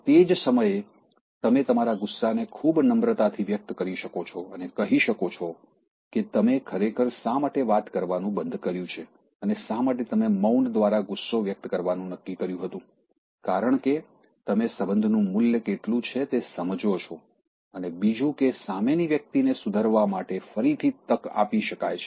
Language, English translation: Gujarati, And, that is the time you can express your anger in a very polite manner and tell why you actually stopped talking and why you decided to express you anger through silence, because how you value the relationship and if you had used some aggressive one, the relationship would have broken and give chance again to the other person to mend herself or himself